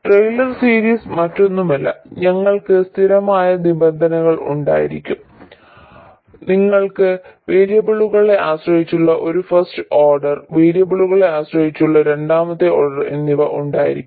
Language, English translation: Malayalam, Taylor series is nothing but you will have a constant term, you will have first order dependence on the variables and second order dependence on the variables and so on